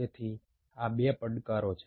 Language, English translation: Gujarati, there are two challenges